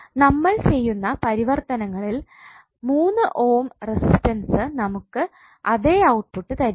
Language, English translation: Malayalam, That means that the transformations which you are doing the same 3 ohm resistance will not give you the same output